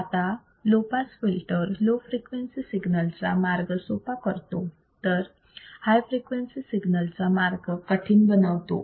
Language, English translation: Marathi, Now, a pass filter allows easy passage of low frequent signals, but difficult passage of high frequency signals